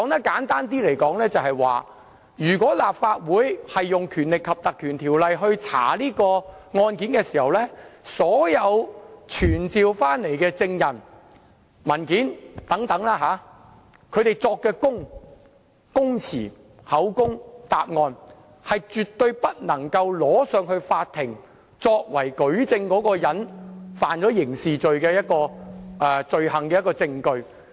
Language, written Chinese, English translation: Cantonese, 簡單來說，如果立法會引用《條例》調查案件，所有傳召的證人所作的供詞、口供或答案，以及提供的文件，是絕對不能呈交法庭作為疑犯觸犯刑事罪行的證據。, To put it in simpler terms if the Legislative Council invokes the Legislative Council Ordinance to inquire into a matter and a person is summoned to provide deposition evidence and answers or produce documents before the Council such deposition evidence answers or documents cannot be used as evidence against the person in a court of law for an alleged criminal offence